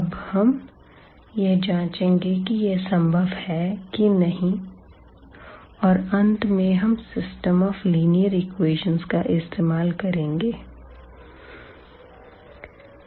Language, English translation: Hindi, So, now, to do so, we will check whether it is possible or not and eventually we end up usually with the system of linear equations to answer all these questions